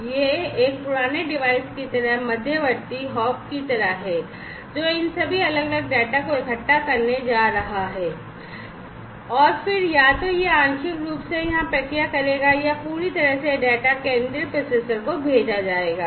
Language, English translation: Hindi, And this is sort of like an intermediate hop current kind of like an aged device, which is going to collect all these different data, and then either it will process partially over here or fully this data, is going to be sent to the central processor